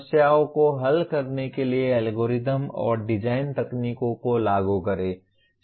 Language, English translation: Hindi, Apply the algorithms and design techniques to solve problems